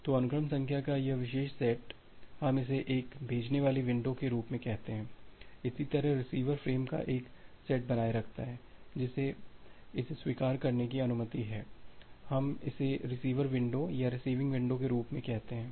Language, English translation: Hindi, So this particular set of sequence number we call it as a sending window, similarly, the receiver it maintains a set of frames which it is permitted to accept, we call it as the receiver window or receiving window